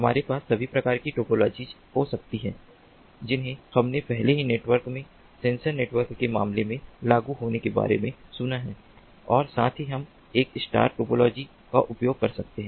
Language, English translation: Hindi, we can have all sorts of topologies that we have already heard of in networks being implemented in the case of sensor networks as well